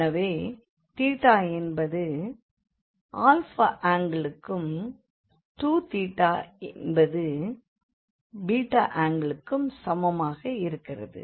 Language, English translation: Tamil, So, this is theta is equal to alpha angle, and 2 theta is equal to beta angle